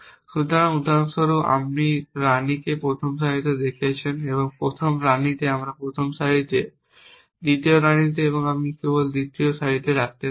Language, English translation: Bengali, So, for example, you have placed the queen on first row the first queen on the first row second queen I can only place on the third row